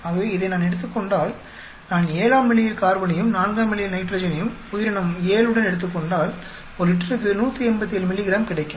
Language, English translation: Tamil, So suppose if I take this, I am taking carbon at level 7, nitrogen at level 4 with organism 7, I get 187 milligrams per liter